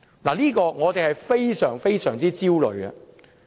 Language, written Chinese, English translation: Cantonese, 對此，我們感到非常焦慮。, We are extremely anxious about this